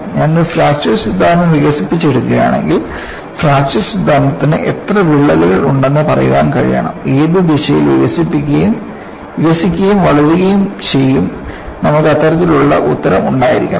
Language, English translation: Malayalam, If I develop a fracture theory, the fracture theory should be able to say how many cracks are there, in which direction it should develop and grow, we should have that kind of an answer